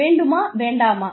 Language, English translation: Tamil, Whether, we want to